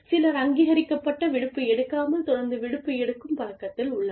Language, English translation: Tamil, Some people are constantly in the habit of, taking off, without taking authorized leave